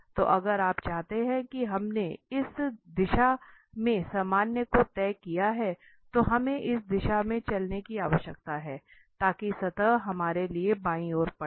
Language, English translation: Hindi, So if you want to have we have fixed the normal in this direction, then we need to walk in this direction, so that the surface will lie left side to us